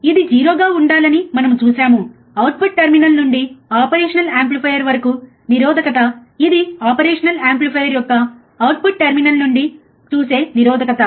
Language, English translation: Telugu, We have seen ideally it should be 0, resistance viewed from the output terminal to the operation amplifier; that is resistance from the output terminal of the operational amplifier